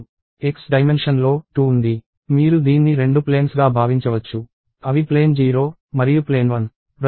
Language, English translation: Telugu, So, in the x dimension, there is 2; you can think of it as two planes: plane 0, and plane 1